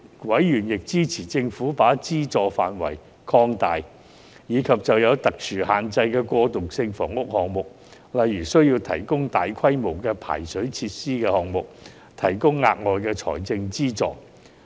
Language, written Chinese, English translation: Cantonese, 委員亦支持政府把資助範圍擴大，以及就有特殊限制的過渡性房屋項目，例如需要提供大規模排水設施的項目，提供額外財政資助。, Members also supported the Government to expand the funding scope and provide additional subsidy to transitional housing projects with special constraints such as those required the provision of extensive drainage facilities